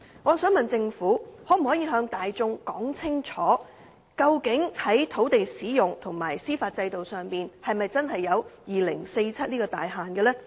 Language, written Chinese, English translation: Cantonese, 我想問政府，可否向大眾說清楚究竟在土地使用及司法制度上是否真的有2047年這個大限呢？, I would like to ask the Government if it will provide a clear explanation to the public on whether there is actually a time frame of 2047 for the use of land and the judicial system